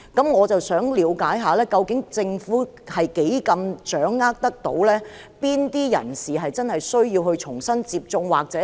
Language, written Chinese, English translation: Cantonese, 我想了解，究竟政府能否掌握哪些人士需要重新接種疫苗？, I would like to know if the Government has grasped the information on the types of people who have to be vaccinated again